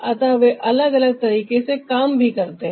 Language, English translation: Hindi, so they also work differently